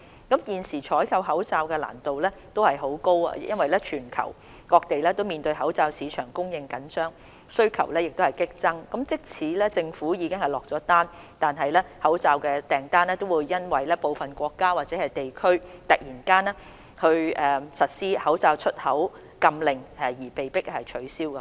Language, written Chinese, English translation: Cantonese, 現時採購口罩難度很高，因為全球各地都面對口罩市場供應緊張，需求激增，即使政府已經落單，口罩訂單亦會因為部分國家或地區突然實施口罩出口禁令而被迫取消。, As the supply of masks remain very tight around the globe and with increasing demand global sourcing is very difficult . Even the Government has placed orders the orders could be cancelled due to export controls suddenly imposed by some countries or regions